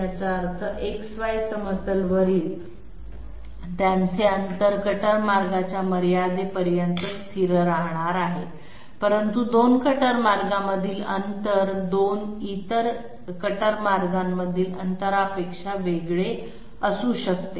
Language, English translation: Marathi, That means their distance on the X Y plane is remaining is going to remain constant all through the cutter path extent, but distance between 2 cutter paths might well be different from the distance between 2 other cutter paths